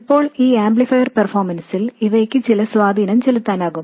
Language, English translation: Malayalam, Now these will have some effect on the amplifier performance